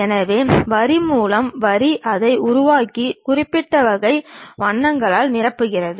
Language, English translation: Tamil, So, line by line it construct it and fills it by particular kind of colors